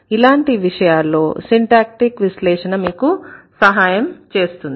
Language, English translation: Telugu, In such cases, the syntactic analysis is going to help you